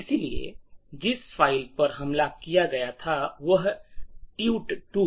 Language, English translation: Hindi, So, the file that was attacked was TUT2